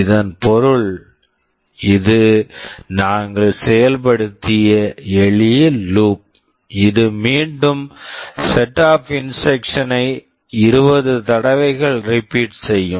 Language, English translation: Tamil, This means this is a simple loop we have implemented that will be repeating a set of instructions 20 times